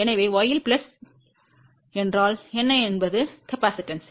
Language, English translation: Tamil, So, in y what is plus it is capacitance because y is equal to j omega c